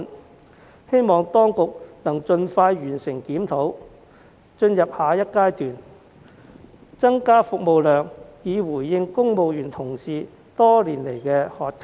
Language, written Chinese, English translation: Cantonese, 我促請當局盡快完成檢討並進入下一階段，務求增加服務量，回應公務員多年來的渴求。, I urge the authorities to complete the review of the scheme as soon as possible and proceed to the next stage with a view to increasing service capacity and responding to the long - standing demand of civil servants